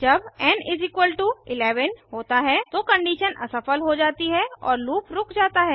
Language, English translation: Hindi, When n = 11, the condition fails and the loop stops